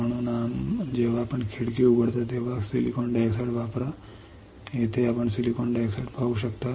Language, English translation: Marathi, So, when you open the window use silicon dioxide, here you can see silicon dioxide here